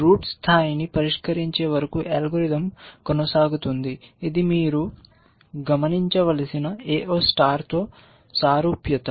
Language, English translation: Telugu, The algorithm will proceed till the root gets level solved so, that is a similarity with AO star you should observe